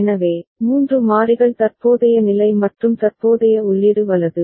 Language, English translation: Tamil, So, 3 variables are there the current state and the current input right